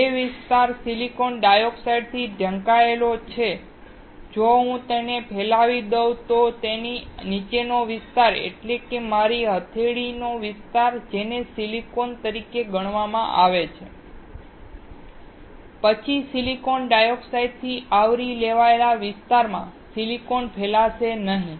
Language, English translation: Gujarati, The area which is covered by silicon dioxide if I diffuse it then the area below it, that is, my palm area that is considered as silicon, then the silicon will not get diffused in the area covered by silicon dioxide